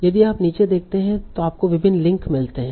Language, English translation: Hindi, So if you see on the bottom, so you are finding various links